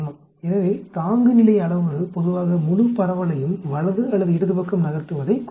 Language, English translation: Tamil, So threshold parameter generally indicates the shift of the entire distribution to the right or to the left